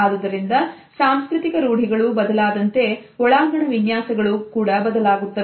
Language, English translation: Kannada, So, we find that with changing cultural norms the interior space designs also change